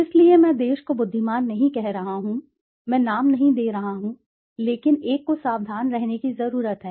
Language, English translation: Hindi, So, I am not saying country wise, I am not naming, but one needs to be careful